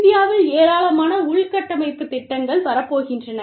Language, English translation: Tamil, You know, I mean, a large number of infrastructure projects, are coming up in India